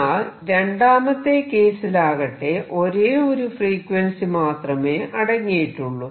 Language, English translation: Malayalam, On the other hand in this case the motion contains only one frequency